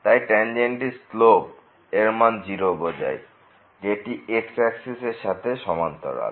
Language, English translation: Bengali, So, the slope of the tangent is meaning it is parallel to the